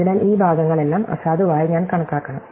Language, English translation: Malayalam, So, I must count all these parts as invalid